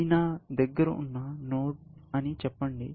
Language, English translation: Telugu, Let us say, this is a node that I have